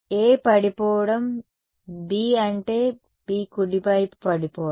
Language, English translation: Telugu, A falling on B this is B falling on B right